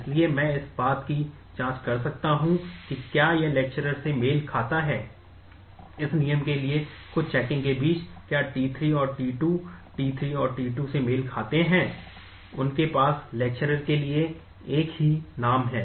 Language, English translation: Hindi, So, I can just check for whether it matches on lecturer, between some checking for this rule, whether t 3 and t 2 match yes t 3 and t 2 match, they have the same name for the lecturer